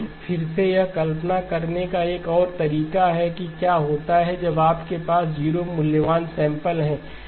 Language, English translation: Hindi, Again that is another way of visualizing what happens when you have a lot of 0 valued samples